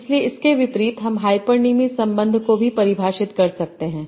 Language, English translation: Hindi, So conversely we can define the hyponym relation also